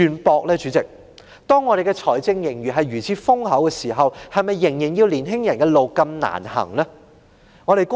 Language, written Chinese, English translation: Cantonese, 本港財政盈餘現時如此豐厚，為何仍要年青人走如此艱難的路？, Hong Kong currently has such an enormous fiscal surplus . Why do young people still need to take such a difficult path?